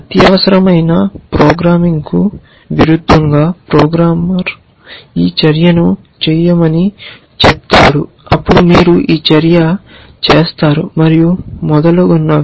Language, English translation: Telugu, As opposed to an imperative programming who programmer says do this action then you do this action and so on and so forth essentially